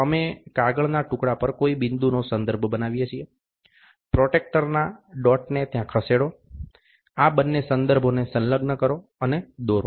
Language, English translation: Gujarati, We make dot reference on a piece of paper, move the protractor dot there exactly match these two references and draw